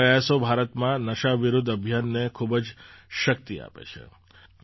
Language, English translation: Gujarati, These efforts lend a lot of strength to the campaign against drugs in India